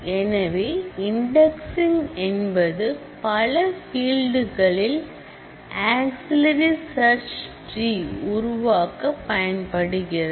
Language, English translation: Tamil, So, indexing is a mechanism by which, you can actually create auxiliary search trees on multiple fields